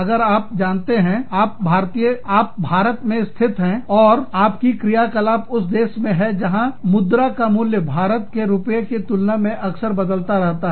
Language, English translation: Hindi, If you are, you know, if you are based in India, and you are operating in a country, where the currency is, the value of the currency is, changing, very frequently, in terms of Indian rupees, or, in comparison with the Indian rupee